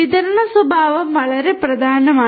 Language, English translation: Malayalam, Distributed nature is very important